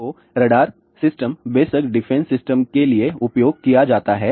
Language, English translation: Hindi, So, radar systems are of course, used for defense systems